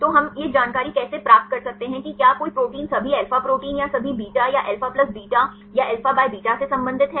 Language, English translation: Hindi, So, how can we get the information, whether a protein belongs to all alpha proteins or all beta or alpha plus beta or alpha by beta